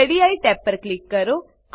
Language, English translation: Gujarati, Click on Radii tab